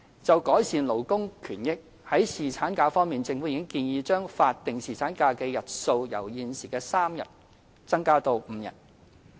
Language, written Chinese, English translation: Cantonese, 就改善勞工權益方面，政府已建議將法定侍產假的日數由現時3天增至5天。, In respect of improving labour rights the Government has proposed to increase the duration of paternity leave from three days to five days